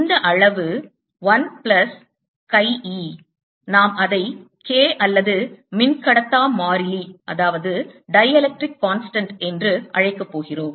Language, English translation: Tamil, this quantity, one plus kai, we want to call k or the dielectric constant, right